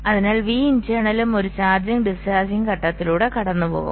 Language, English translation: Malayalam, so v internal will also be going through a charging and discharging phase